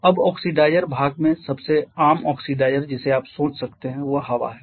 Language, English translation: Hindi, Now the oxidizer part the most common oxidizer that you can think of is air